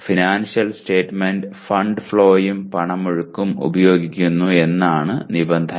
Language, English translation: Malayalam, The financial statement, the condition is using fund flow and cash flow